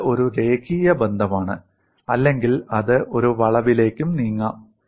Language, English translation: Malayalam, It is a linear relationship or it could also move in a curve